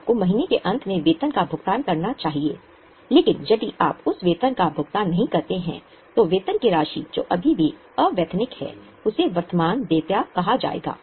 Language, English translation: Hindi, For example, if you have employees with you, you should pay salary at the end of the month, but if you don't pay that salary, then the amount of salary which is still unpaid, it will be called as a current liability